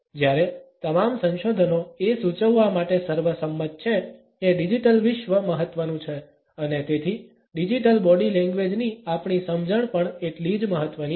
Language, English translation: Gujarati, Whereas, all the researches are unanimous in suggesting that the digital world is important and so is our understanding of digital body language